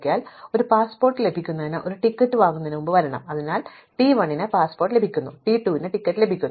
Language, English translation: Malayalam, So, as an example getting a passport must come before buying a ticket, so if T 1 is getting a passport, T 2 could be getting a ticket